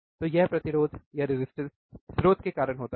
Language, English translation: Hindi, Then the resistance is because of the source